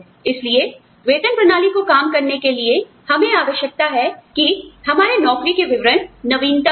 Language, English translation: Hindi, So, in order to have, pay systems function, we have, we need to keep our job descriptions, updated